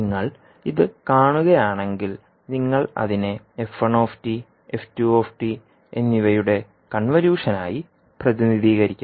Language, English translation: Malayalam, Now if you see this particular term this is nothing but the convolution of f1 and f2